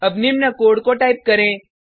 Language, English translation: Hindi, Now type the piece of code shown